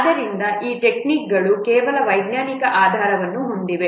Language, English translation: Kannada, So, these techniques, they have certain scientific basis